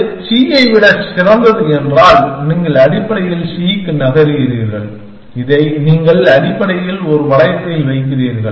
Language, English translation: Tamil, And if that is better than c then you basically move to c and you put this in a loop essentially